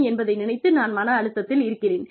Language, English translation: Tamil, Which means that, you are under stress